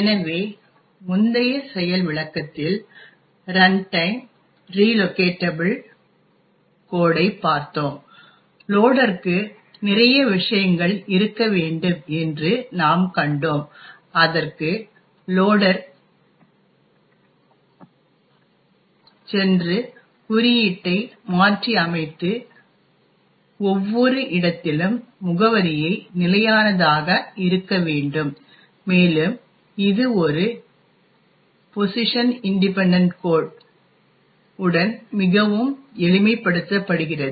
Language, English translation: Tamil, So, in the previous demonstration we looked at runtime relocatable code and we have seen that it requires that the loader have a lot of things to do and it requires the loader to go and modify the code and fix the address in each of the locations and a lot of this becomes much more simplified with a PIC, a position independent code